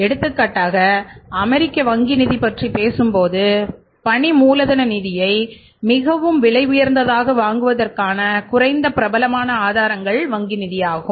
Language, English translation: Tamil, For example when you talk about US, bank finance is the least popular source of providing the working capital finance and most expensive also